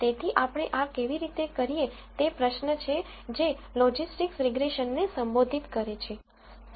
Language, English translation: Gujarati, So, how do we do this, is the question that logistics regression addresses